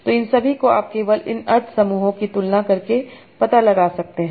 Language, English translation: Hindi, So all these you can find out just by comparing these science clusters